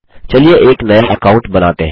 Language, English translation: Hindi, Lets create a new contact